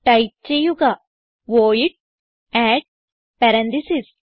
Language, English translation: Malayalam, So type void add parentheses